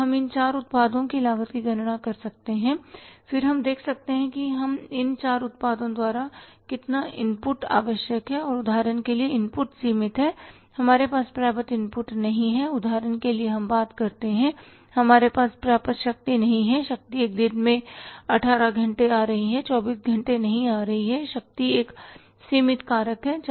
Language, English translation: Hindi, So, we can calculate the cost of the 4 products, then we can see that how much input is required by these 4 products and if for example input is limited we don't have the sufficient input for example you talk about the power you don't have the sufficient power power is coming 18 hours a day not 24 hours a day power is a limiting factor